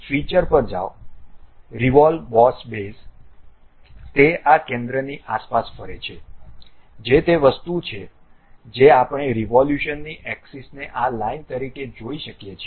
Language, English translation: Gujarati, Now, go to features, revolve boss base, it is revolving around this centre one that is the thing what we can see axis of revolution as this line one